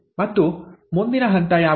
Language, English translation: Kannada, And what is the next step